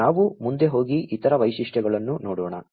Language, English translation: Kannada, So, we go next and look at the other features